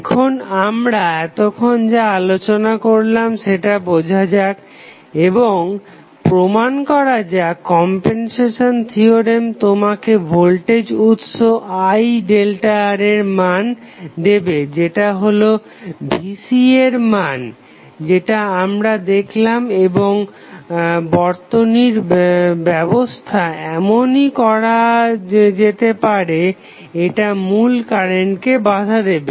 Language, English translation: Bengali, Now, let us understand and justify our understanding what we have discussed till now, the compensation theorem will give you the value of voltage source I delta R that is nothing but the value Vc which we have seen and the look the orientation would be in such a way that it will oppose the original current